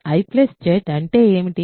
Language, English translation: Telugu, What is I plus J